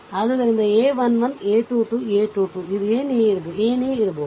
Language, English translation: Kannada, So, a 1 1 , a 2 2, a 3 3, this one whatever it come